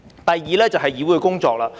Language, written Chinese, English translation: Cantonese, 第二，就是議會的工作。, The second one is Council business